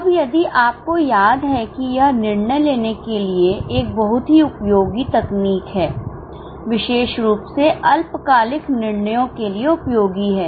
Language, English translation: Hindi, Now if you remember this is a very useful technique for decision making, particularly useful for short term decisions